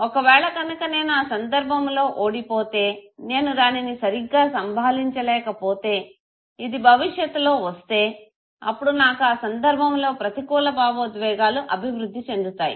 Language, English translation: Telugu, If I think that I lost in this situation and I find myself incompetent to handle this, if this comes in the future also, then fine, I am bound to develop negative emotion in the situation